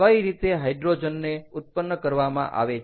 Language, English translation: Gujarati, how do you produce hydrogen